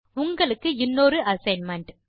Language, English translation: Tamil, Here is another assignment for you